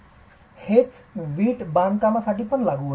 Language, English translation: Marathi, The same applies to brick masonry